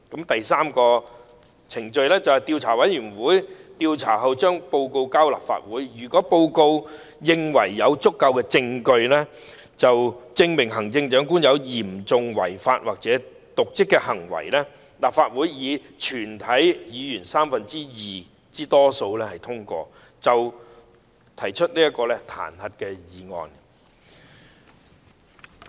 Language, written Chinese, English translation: Cantonese, 第三，調查委員會進行調查後向立法會提交報告，如報告認為有足夠證據證明行政長官有嚴重違法或瀆職行為，立法會以全體議員三分之二多數通過，便可提出彈劾案。, Third the investigation committee after conducting an investigation reports its findings to the Council . If the report considers that there is sufficient evidence showing that the Chief Executive has seriously breached the law or has been derelict in her duties and if passed by two - thirds of all Members of the Council an impeachment motion may be proposed